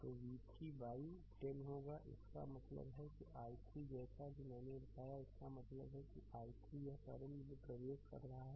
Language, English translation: Hindi, So, it will be v 3 by 10 right; that means, and i 3 as I told you; that means, i 3 right this current is entering